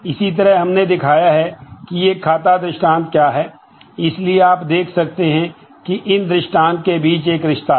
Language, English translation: Hindi, Similarly, we have shown what is a accounts instance, so you can see that there is a some kind of a relationship that you can see between these instances